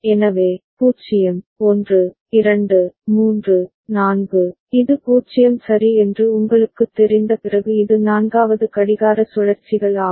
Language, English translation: Tamil, So, 0, 1, 2, 3, 4, this is the fourth clock cycles after you know starting from 0 ok